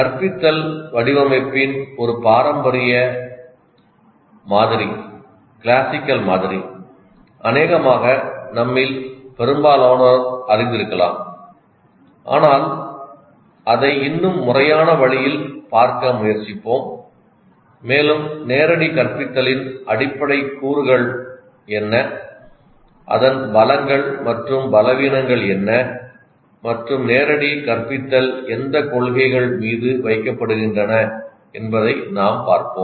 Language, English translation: Tamil, A classical model of instruction design, probably one with which most of us are familiar, but still we will try to look at it in a more systematic fashion and we will see what are the basic components of direct instruction, what are its strengths and limitations and what are the principles on which the direct instruction is placed